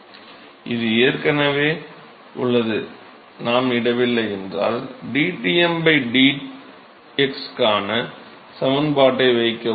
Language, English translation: Tamil, It is already there, if we not put in, put in the expression for dTm by dx